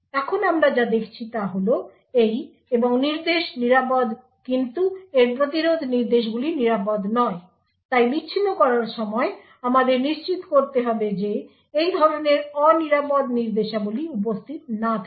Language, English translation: Bengali, Now what we see is that this AND instruction is safe but however these interrupt instruction is unsafe therefore while doing the disassembly we need to ensure that such unsafe instructions are not present